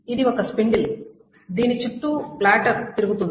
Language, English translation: Telugu, This is the spindle around which the platter's rotates